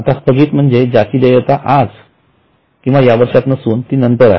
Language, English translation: Marathi, Now deferred means something which is not due today or in the current year which is due in later years